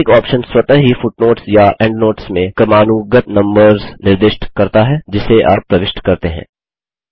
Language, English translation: Hindi, The Automatic option automatically assigns consecutive numbers to the footnotes or endnotes that you insert